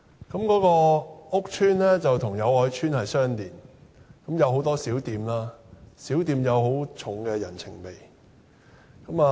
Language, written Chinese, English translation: Cantonese, 該屋邨與友愛邨相連，有很多小店，小店有很重的人情味。, This estate is adjacent to Yau Oi Estate where many small shops with a human touch could be found